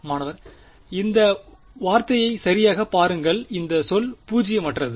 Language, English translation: Tamil, Look at this term right this term is non zero where